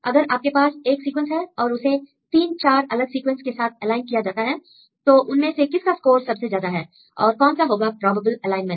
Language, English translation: Hindi, For example, if you have one sequence, if it is aligned with 3 4 different sequences which one has the highest score which one has the most probable alignment